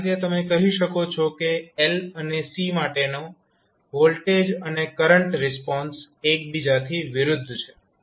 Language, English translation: Gujarati, So, in that way you can say that voltage current response for l and c are opposite to each other